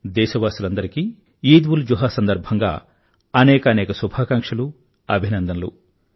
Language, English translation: Telugu, Heartiest felicitations and best wishes to all countrymen on the occasion of EidulZuha